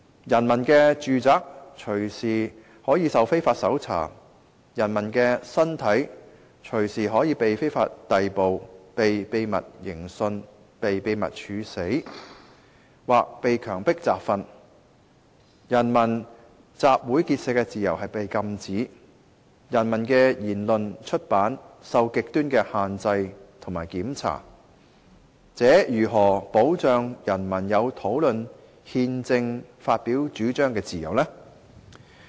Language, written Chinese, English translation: Cantonese, 人民的住宅隨時可受非法搜查，人民的身體隨時可被非法逮捕，被秘密刑訊，被秘密處死，或被強迫集訓，人民集會結社的自由是被禁止，人民的言論出版受着極端的限制和檢查，這如何能保障人民有討論憲政發表主張的自由呢？, If the homes of people are subject to arbitrary and unlawful search or if people are subject to arbitrary and unlawful arrest or secret interrogation or killing or forced training or if peoples freedom of assembly and association is prohibited or their speech and publication are subject to the most extreme restrictions and checking how can peoples freedom be safeguarded when they discuss or express views on constitutional government?